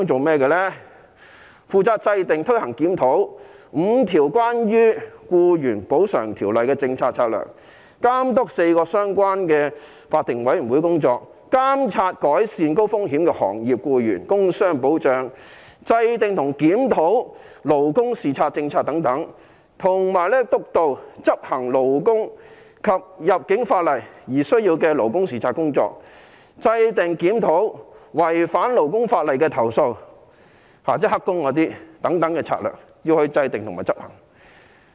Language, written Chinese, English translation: Cantonese, 是負責制訂、推行、檢討5項與僱員補償相關的條例的政策策略、監督4個相關法定委員會的工作、監察改善高風險的行業僱員工傷保障、制訂和檢討勞工視察政策等，以及督導和執行勞工及入境法例而需要的勞工視察工作、制訂和檢討違反勞工法例的投訴，以上策略均須制訂及執行。, He is responsible for formulating implementing and reviewing policies and strategies on five employees compensation - related ordinances overseeing the work of four related statutory boards monitoring the improvement of work injury protection for employees in high - risk industries and formulating and reviewing labour inspection policies and so on . He is also tasked with the supervision and implementation of labour inspection work for labour and immigration laws and the formulation and review of complaint handling for breaches against labour laws that is illegal workers . All the above strategies have to be formulated and executed